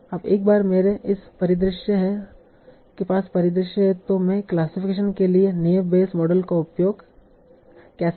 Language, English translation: Hindi, Now once I have this scenario how do I use an I Bage model for classification